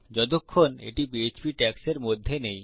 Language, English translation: Bengali, So long as it is not between Php tags